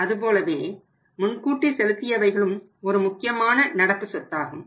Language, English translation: Tamil, Similarly an advance payment is also important current asset and that is also significant amount